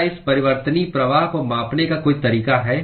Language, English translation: Hindi, Is there a way to quantify this variable flux